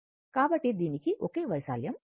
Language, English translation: Telugu, So, it has a same area right